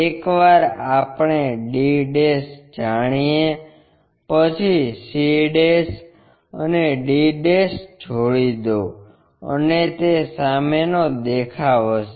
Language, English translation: Gujarati, Once we know d', join c' and d' and that will be the front view